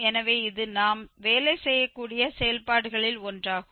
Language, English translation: Tamil, So, this is one of the functions which we can work with